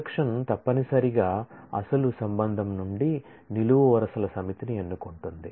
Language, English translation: Telugu, Projection necessarily chooses projects a set of columns from the original relation